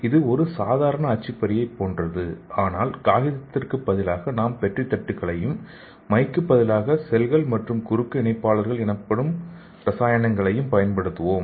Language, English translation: Tamil, So it is similar to your normal printer but instead of paper we will be using the Petri dishes and instead of ink we will be using the cells and chemical called a cross linker